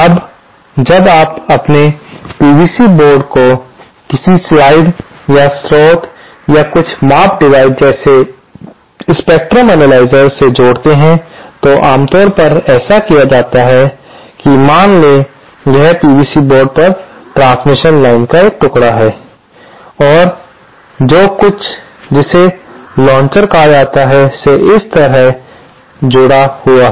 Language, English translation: Hindi, Now, when you connect your PCB board to the to some device or source or some measurement device like spectrum analyser, the way it is usually done is that suppose this is a piece of transmission line on a PCB board, then something called a launcher is connected like this